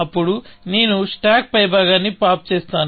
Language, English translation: Telugu, Then, I pop the top of the stack